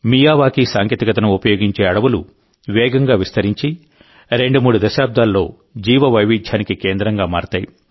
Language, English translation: Telugu, Miyawaki forests spread rapidly and become biodiversity spots in two to three decades